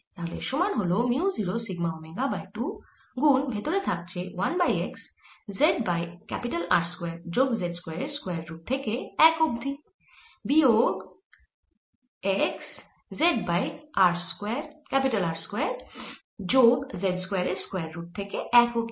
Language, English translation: Bengali, so this is equal to mu zero sigma omega by two z over square root of r square plus z square to one d x, one over x square minus one